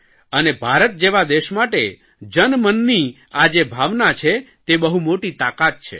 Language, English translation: Gujarati, And for a country like India, this common sentiment of the people is a very big force